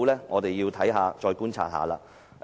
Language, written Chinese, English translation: Cantonese, 我們需要再觀察一下。, Further observation is required